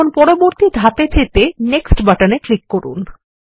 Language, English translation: Bengali, Now let us click on the Next button